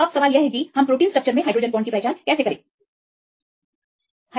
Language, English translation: Hindi, So, now we can identify this hydrogen bonds in the protein structures